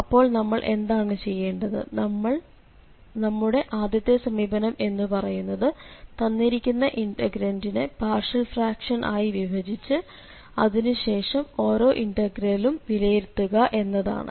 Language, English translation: Malayalam, So what we can do, the first approach could be that we can break again into the partial fractions and then the each integral can be evaluated